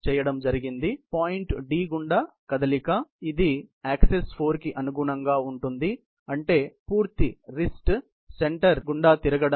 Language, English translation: Telugu, So, the moment about the point D; so this corresponds to access 4; means the turning of the complete wrist center